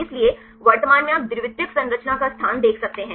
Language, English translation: Hindi, So, currently you can see the location of the secondary structure